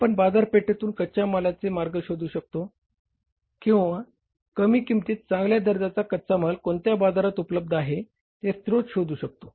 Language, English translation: Marathi, We can look for the avenues of the material from the markets or the sources of the material from the markets where it is available at the lesser price, good quality materials